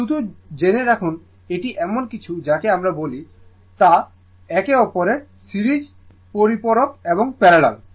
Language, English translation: Bengali, Justjust you know it is something like your what you call that you compliment to each other series and parallel right